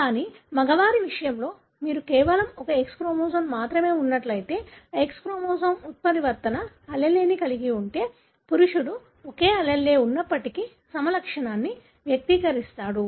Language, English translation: Telugu, But in case of male, because you have only one X chromosome, if that X chromosome carries the mutant allele, invariably the male would express the phenotype, even if only one allele is present